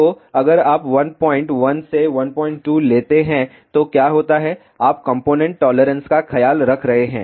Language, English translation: Hindi, 2, then what happens you are taking care of component tolerances